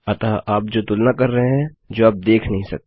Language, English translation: Hindi, So, youre comparing what you cant see